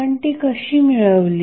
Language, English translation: Marathi, How we derived